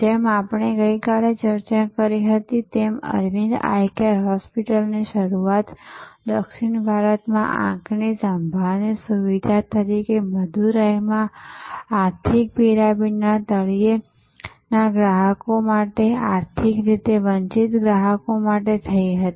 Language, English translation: Gujarati, Like we discussed yesterday, Arvind Eye Care Hospital started as an eye care facility in southern India for in Madurai for consumers at the bottom of the economic pyramid, economically deprived consumers